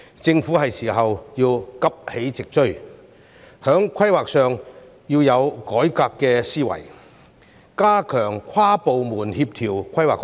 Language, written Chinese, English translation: Cantonese, 政府是時候急起直追，在規劃上要有改革思維，加強跨部門協調規劃工作。, It is time for the Government to catch up expeditiously; adopt a reformist mindset in planning and strengthen cross - departmental coordination and planning